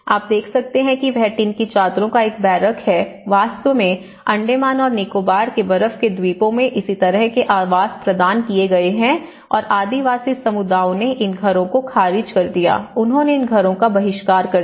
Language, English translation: Hindi, And what you can see is a barracks of the tin sheets, in fact, the similar kind of housing has been provided in the Andaman and Nicobar ice islands and the tribal communities they rejected these houses, they have boycotted these houses